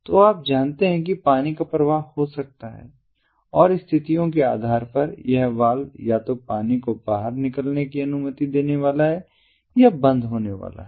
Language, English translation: Hindi, so water can flow in and, depending on the conditions, this valve is going to either allow the water to flow out or it is going to stop